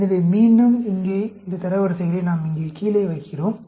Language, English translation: Tamil, So, again here, we are putting down these ranks here